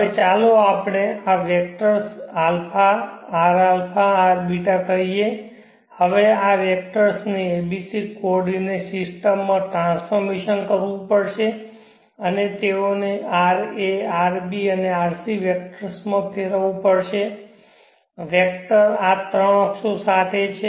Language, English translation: Gujarati, Now let us say this vectors a Ra Rbeeta, now these vectors have to be transformed in the a b c coordinate system and they have to be converted in to Ra Rb and Rc vectors, vectors are along these three axes, so how do you shift R a Rbeeta to Ra Rb Rc